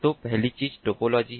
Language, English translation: Hindi, so first thing is the topology